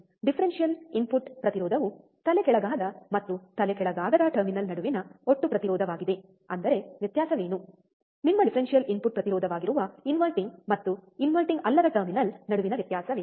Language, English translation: Kannada, Differential input impedance is total resistance between inverting and non inverting terminal; that means, what is the difference; what is the difference between inverting and non inverting terminal that will be your differential input impedance